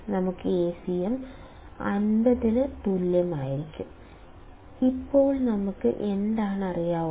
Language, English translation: Malayalam, We will get Acm equals to 50; now what do we know